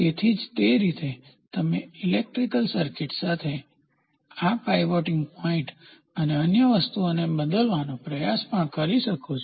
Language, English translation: Gujarati, So, in the same way, you can also try to change this pivoting point and other things with an electrical circuit